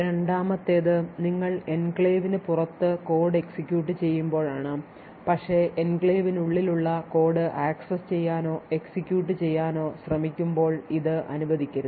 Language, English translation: Malayalam, The second is when you are executing code outside the enclave but try to access or execute code which is present inside the enclave so this should not be permitted